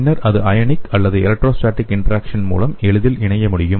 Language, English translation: Tamil, Then it can easily go and bind based on the ionic or electrostatic interactions